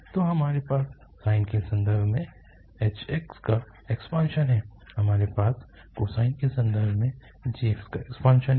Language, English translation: Hindi, So we have the expansion of h x in terms of sine, we have the expansion of g x in terms of cosine